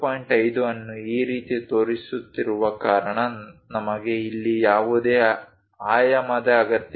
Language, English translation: Kannada, 5 in this way, we don't really require any dimension here